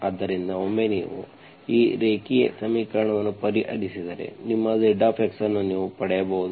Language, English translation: Kannada, So once you solve this linear equation, so you can get your zx